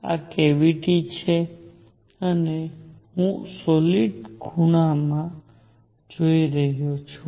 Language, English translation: Gujarati, This is the cavity and I am looking into the solid angle